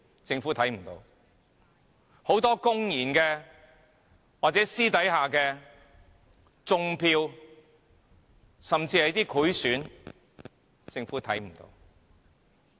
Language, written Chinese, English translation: Cantonese, 政府看不見；很多公然或私下的"種票"甚至賄選，政府也看不見。, Vote rigging actions are carried out both in the open and under the table and bribery at election also exists but the Government does not see all of these